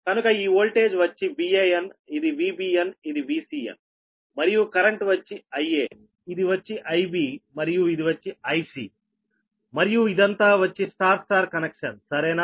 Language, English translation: Telugu, so this volt, this is v a n, this is v b n, this is v c, n and current it is i a, this is your i b and this is i c right and this is your